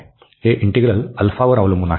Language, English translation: Marathi, This integral depends on alpha